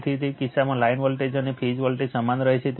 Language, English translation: Gujarati, So, in that case your line voltage and phase voltage remains same right